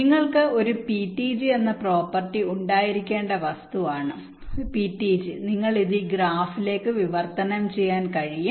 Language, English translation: Malayalam, so ptg is a property where you which you must have an from ptg you can translate it into this graph